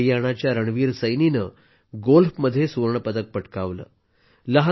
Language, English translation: Marathi, Haryana's Ranveer Saini has won the Gold Medal in Golf